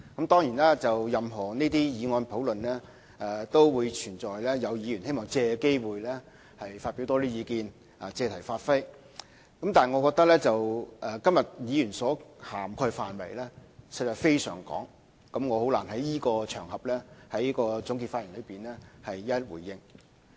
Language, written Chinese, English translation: Cantonese, 當然，任何這些議案的討論都會出現有議員希望藉此機會發表意見，借題發揮，但我覺得今天議員所涵蓋的範圍實在非常廣泛，我難以在這場合的這次總結發言內一一回應。, Of course we can invariably see in any such motion discussions that certain Members may wish to take the opportunity to also talk about their views on certain issues which may not be quite so relevant . But I think Members speeches today honestly covered a very wide range of issues so wide that I can hardly give a reply on all of their views in this concluding speech on this occasion